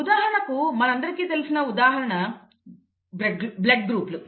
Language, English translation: Telugu, For example, it is a very good example that of blood groups, we all know